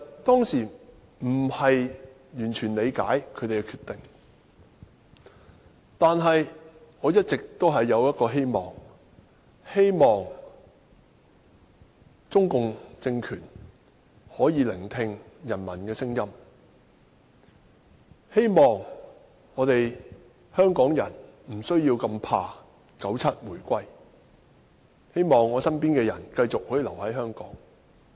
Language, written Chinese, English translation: Cantonese, 當時我並不完全理解他們的決定，但一直希望中共政權可以聆聽人民的聲音，希望香港人無需懼怕1997年回歸，希望身邊的人可以繼續留在香港。, I did not completely understand their decision back then but it has been my hope that CPC regime could listen to the voice of the people that Hong Kong people did not need to be afraid of the reunification in 1997 and that the people around me could stay in Hong Kong